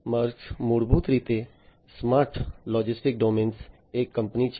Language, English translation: Gujarati, Maersk is basically a company in the smart logistics domain